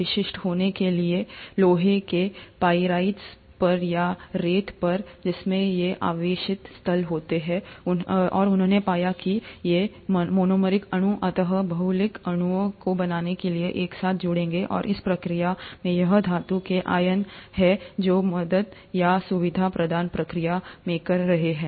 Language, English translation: Hindi, To be specific, on iron pyrite or on sand, which do have these charged sites, and he found that these monomeric molecules would eventually join together to form polymeric molecules, and in the process it is the metal ions which are helping or facilitating the process of condensation